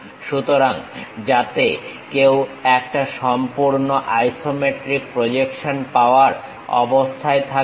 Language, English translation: Bengali, So, that a complete isometric projection one will be in a position to get